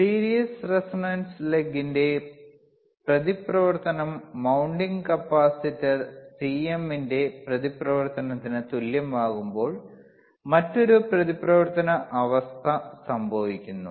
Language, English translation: Malayalam, that oOther reactance condition which, occurs when reactance of series resonant laeg equals the reactance of the mounting capacitor C m right